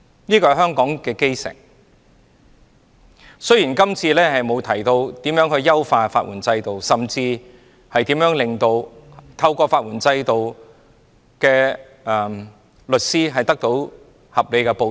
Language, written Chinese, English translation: Cantonese, 法援是香港的基石，雖然今次的決議案沒有提到如何優化法援制度，甚至如何令在法援制度下工作的律師得到合理的報酬。, They are qualified for legal aid if they satisfy the means test . Legal aid is a cornerstone of Hong Kong despite the fact that this resolution does not mention how to enhance the legal aid system or provide reasonable remunerations for legal aid lawyers